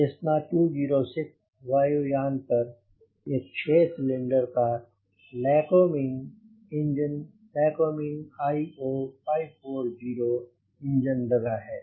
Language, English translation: Hindi, now this aircraft, cessna two zero six, has got a six cylinder lycoming engine, lycoming io five forty engine